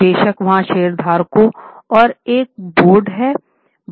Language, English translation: Hindi, Of course, there are shareholders and there is a board